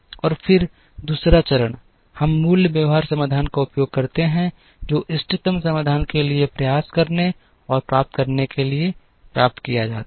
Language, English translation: Hindi, And then the second stage, we use the basic feasible solution that is obtained to try and get to the optimal solution